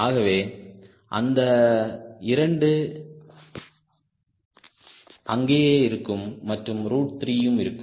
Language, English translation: Tamil, so the two remain there and root three, root three will be there